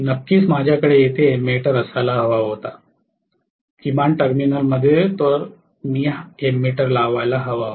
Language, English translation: Marathi, Of course I should have had ammeter here, at least in one of the terminal I should have put an ammeter